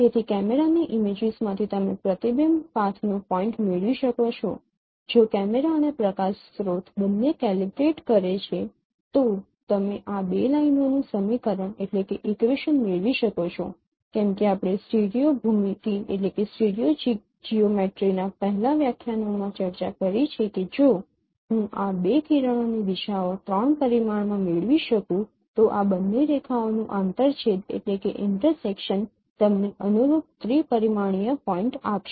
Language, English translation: Gujarati, If both camera and light source they are calibrated then you can get the equation of these two lines as we have discussed in the previous lectures of stereo geometry that if I can get the directions of these two rays in three dimension then the intersection of these two lines will give you the corresponding three dimensional point